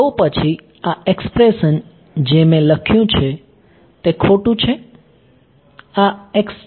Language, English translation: Gujarati, So, then this expression that I have written is incorrect right this is x ok